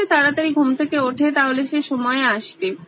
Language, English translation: Bengali, If he had woken up early, he would be on time